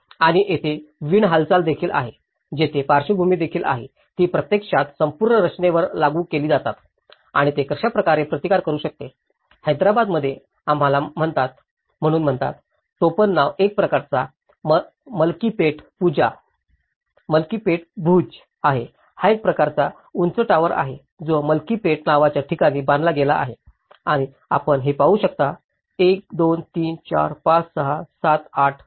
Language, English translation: Marathi, And there is also the wind movement, there is also the lateral forces which are actually applied on to the whole structure and how it can resist for instance, in Hyderabad is called we call as; nickname is a kind of Malkpet Bhuj, it’s a kind of tall tower which has been built in a place called Malkpet and you can see that 1, 2, 3, 4, 5, 6, 7, 8,